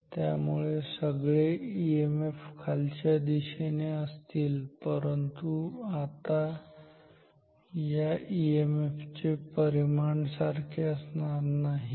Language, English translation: Marathi, So, all the EMFs are downwards, but now the magnitude of these EMFs are not equal why